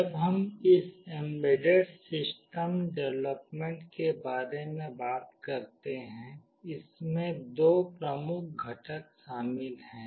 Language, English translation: Hindi, When we talk about this embedded system development, this involves two major components